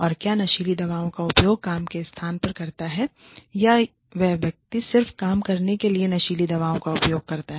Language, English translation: Hindi, And, whether the drug use is, at the place of work, or, whether the person comes, you know, drugged to work